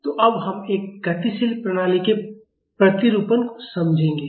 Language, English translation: Hindi, So, now, we will understand the Modeling of a Dynamic System